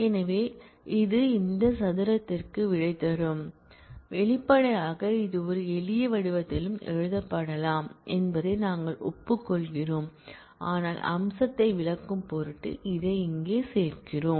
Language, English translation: Tamil, So, this can simply give you the answer to this squared; obviously, we agree that this can be written in a simpler form also, but we are including it here just for the sake of illustrating the feature